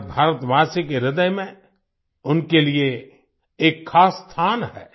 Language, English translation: Hindi, He has a special place in the heart of every Indian